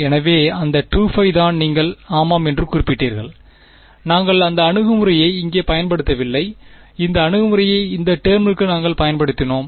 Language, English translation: Tamil, So, that is the 2 pi that you are referring to yeah we did not use that approach over here, we used that approach for this term b ok